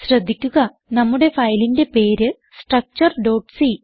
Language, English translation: Malayalam, Note that our filename is structure.c